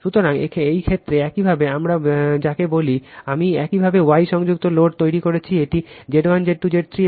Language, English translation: Bengali, So, in this case your, what we call this is I have made you the star connected load this is Z 1, Z 2, Z 3